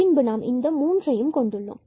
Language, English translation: Tamil, So, we have these 3 conditions